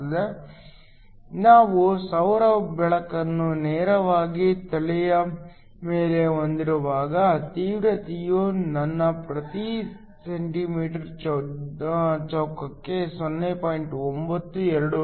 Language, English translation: Kannada, So, when we have the solar light directly over head, the intensity I is around 0